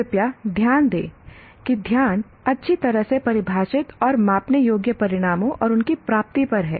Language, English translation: Hindi, Please note that the focus is on well defined and measurable outcomes and their attainment